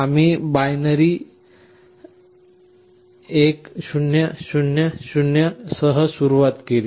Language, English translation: Marathi, We started with 1 0 0 0